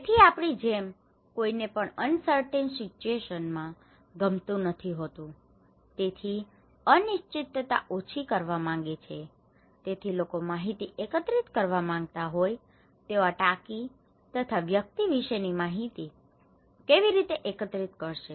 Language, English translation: Gujarati, So, we would like to; no one likes uncertain situation, they want to minimise the uncertainty so, then people would like to collect information, how they can collect information about this tank, this person